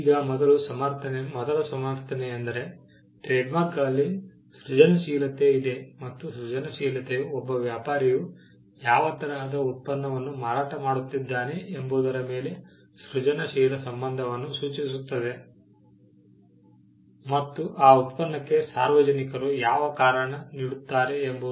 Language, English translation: Kannada, Now, the first justification is that, there is creativity involved in trademarks and the creativity refers to the creative association of what a trader is selling with what the public would attribute to that product